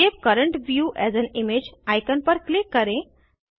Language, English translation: Hindi, Click on the Save current view as an image icon